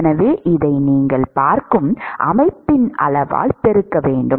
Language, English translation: Tamil, So, therefore, you have to multiply this by the volume of the system that you are looking at